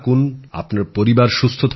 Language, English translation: Bengali, May you and your family stay healthy